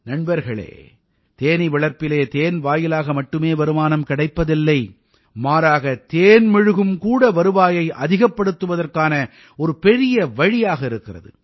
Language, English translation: Tamil, Friends, Honey Bee Farming do not lead to income solely from honey, but bee wax is also a very big source of income